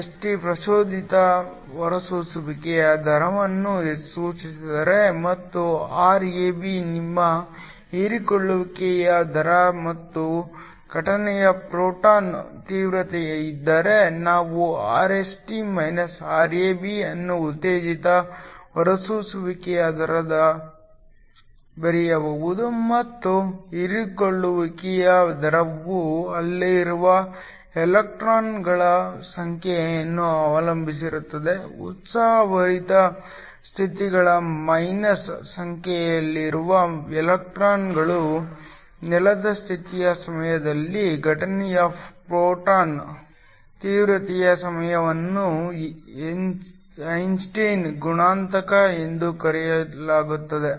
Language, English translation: Kannada, If Rst denotes the rate of stimulated emission and Rab is your rate of absorption and φ is incident photon intensity, then we can write Rst – Rab to the rate of stimulated emission minus the rate of the absorption depends on the number of electrons that are there in the excited states minus number of electrons in the ground state times the incident photon intensity times a constant that is called the Einstein coefficient